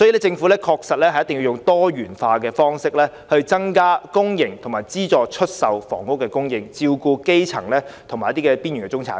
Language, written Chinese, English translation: Cantonese, 政府確實要採用多元化方式，增加公營和資助出售房屋的供應，照顧基層及邊緣中產市民。, The Government indeed has to adopt a diversified approach to increase public and subsidized housing supply to cater for the needs of the grass roots and marginal middle class